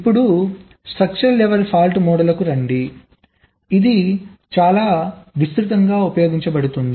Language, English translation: Telugu, ok, now lets come to the structural level fault model, which is perhaps the most widely used and common